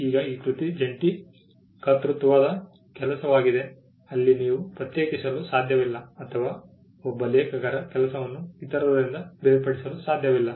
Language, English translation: Kannada, Now the work is a work of joint authorship because, there you cannot distinguish or you cannot separate the work of one author from the others